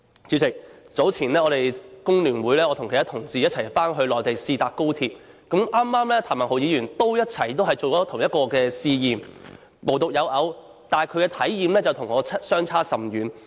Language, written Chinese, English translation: Cantonese, 主席，早前我與工聯會其他同事一起回內地試坐高鐵，剛好譚文豪議員也進行同一個試驗，但他的體驗與我相差甚遠。, President earlier on I took a trial on HSR with some others colleagues from the Hong Kong Federation of Trade Unions . It was a coincidence that Mr Jeremy TAM was also taking his trial but his personal feeling was greatly different from mine